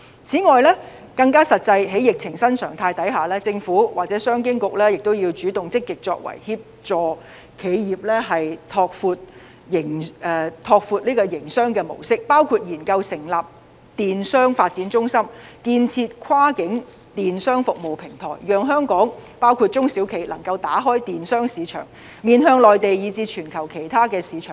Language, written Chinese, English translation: Cantonese, 此外，更加實際可行的是，在疫情新常態下，政府或商務及經濟發展局要主動積極作為協助企業拓闊營商模式，包括研究成立電子商務發展中心、建設跨境電子商務服務平台，讓香港，包括中小企能夠打開電子商務市場，面向內地以至全球其他市場。, Furthermore the more practical approach in the new normal of the pandemic for the Government or the Commerce and Economic Development Bureau is to be more proactive role in assisting businesses to expand their mode of operation including conducting research in the setting up of the e - commerce development centre; setting up a cross - boundary e - commerce service platform to allow Hong Kong and its SMEs to open an e - commerce market targeting the Mainland and other overseas markets